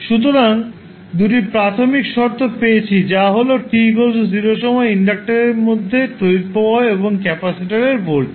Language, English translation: Bengali, So, we got 2 initial conditions current which is flowing through the inductor at time t is equal to 0 and voltage across capacitor at time t is equal to 0